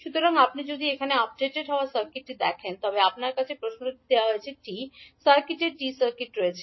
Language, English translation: Bengali, So, if you see the updated circuit here you have the T circuit of the, T circuit given in the question